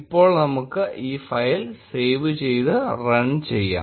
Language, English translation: Malayalam, Now, let us save this file and run it